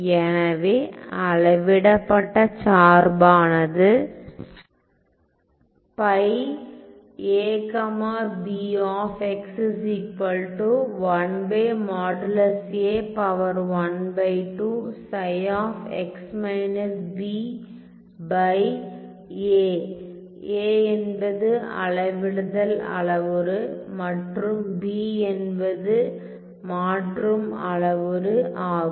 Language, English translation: Tamil, So, where I have that a is my scaling parameter and b is my shifting parameter ok